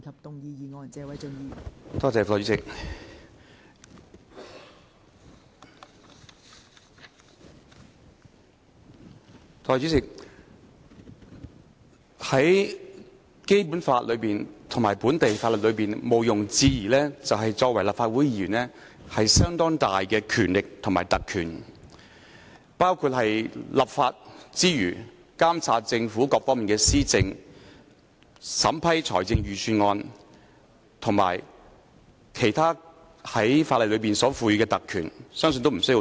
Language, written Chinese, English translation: Cantonese, 代理主席，在《基本法》及本地法律中毋庸置疑的一點是立法會議員擁有相當大的權力和特權，在立法之餘，還包括監察政府各方面的施政、審批財政預算案及法例所賦予的其他特權，相信也無須多說。, Deputy President it is indisputable that under the Basic Law and domestic laws Legislative Council Members have substantial powers and privileges . In addition to lawmaking such powers also include monitoring the administration of the Government on various fronts approving budgets and other privileges conferred by law . I think I need not go into the details